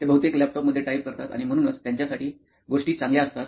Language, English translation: Marathi, They mostly type in the laptops and things are good for them